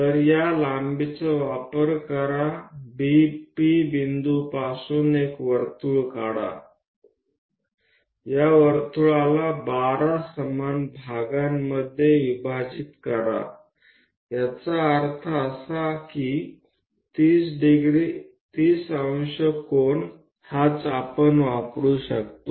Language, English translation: Marathi, So, use this length ok draw a circle from P point divide this circle into 12 equal parts; that means, 30 degrees angle is the one what we can use it